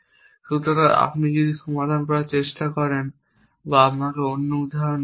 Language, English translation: Bengali, So, if you want solve this or let me take another example